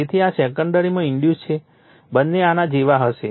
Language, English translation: Gujarati, So, this is your secondary induced both will be like this